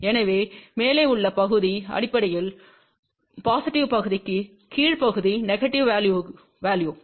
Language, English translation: Tamil, So, the above portion is basically for positive portion, the lower portion is for the negative value